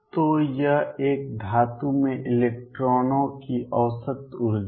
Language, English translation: Hindi, So, this is the average energy of electrons in a metal